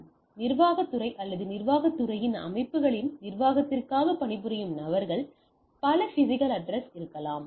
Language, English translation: Tamil, And then the administration department or the people working for the administration of systems in the administration department may be across several physical locations